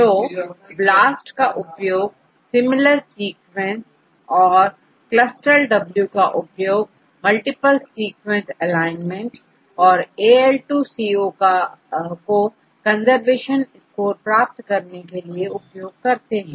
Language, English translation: Hindi, So, BLAST is used to get the similar sequences and CLUSTAL W is used to obtain the multiple sequence alignment and AL2CO you can use to get the conservation score